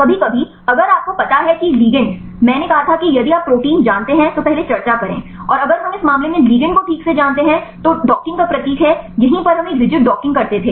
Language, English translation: Hindi, Sometimes if you know the ligand I said discuss earlier if you know the protein and if we know the ligand right in this case the docking is symbol right here this we used to a rigid docking